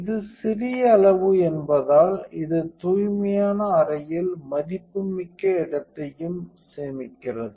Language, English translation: Tamil, Because of it is compact size it also saves valuable space in the clean room